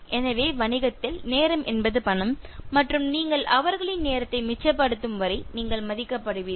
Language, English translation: Tamil, So, time is money in business, and they will value you, as long as you can save their time